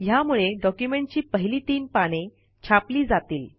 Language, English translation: Marathi, This will print the first three pages of the document